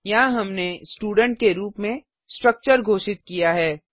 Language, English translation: Hindi, Here we have declared a structure as student